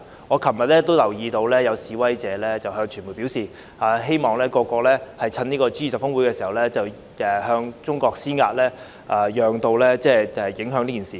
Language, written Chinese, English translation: Cantonese, 我昨天也留意到有示威者向傳媒表示，希望各國在 G20 峰會期間向中國施壓，藉此造成影響。, Yesterday I also noticed that some protesters told the media their wish for various countries to exert pressure on China during the G20 Osaka Summit in an attempt to create an impact